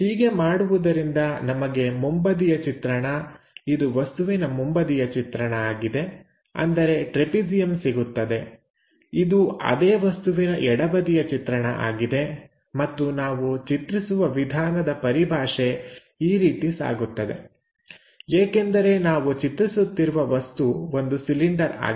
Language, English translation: Kannada, So, doing that, the front view object, this is the front view object, trapezium; this is the left side view of that object and our drawing terminology goes in this way because this is cylindrical object